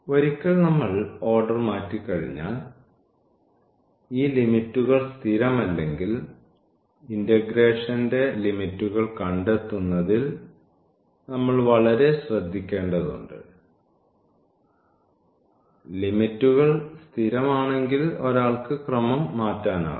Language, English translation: Malayalam, Once we change the order again we need to be very careful about the finding the limits of the integration, if these limits are not constant; if the limits are constant one can simply change the order